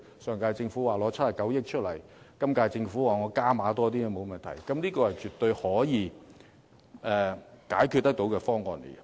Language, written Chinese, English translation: Cantonese, 上屆政府表示會撥出97億元，今屆政府則表示加多點也沒有問題，絕對是可以解決問題的方案。, According to the last - term Government it would set aside 9.7 billion and the current - term Government has indicated that it is willing to increase its financial commitment . The proposal is absolutely a workable solution